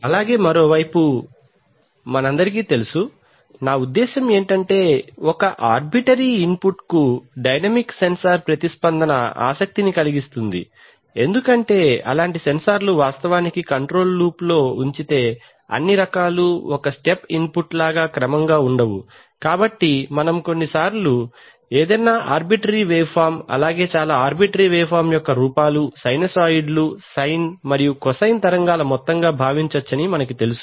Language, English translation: Telugu, On the other hand you know as we all know, I mean the response to a dynamic sensor to arbitrary input is of interest because if such a sensor is actually put in a control loop all kinds of it is not going to be regular as a step input, so we sometimes, since we know that any arbitrary waveform most arbitrary waveforms can be thought of as the sum of sinusoids, sine and cosine waves, so it is very useful to actually characterize the behavior that is the response of the instrument to a sinusoid of different frequencies